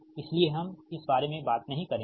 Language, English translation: Hindi, so we will not talk about this thing